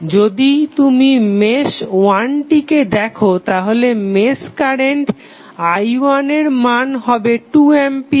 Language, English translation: Bengali, If you see mesh one the value of mesh current is i 1 is equal to 2 ampere